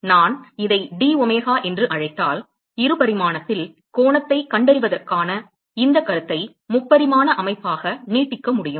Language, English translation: Tamil, If I call this as domega so I can extend this concept of finding the angle in 2 dimensional into a 3 dimensional system ok